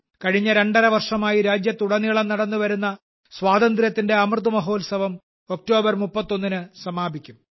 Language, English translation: Malayalam, The Azadi Ka Amrit Mahotsav, which has been going on for the last two and a half years across the country, will conclude on the 31st of October